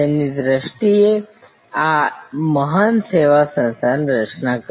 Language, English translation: Gujarati, It is his vision that created this great service organization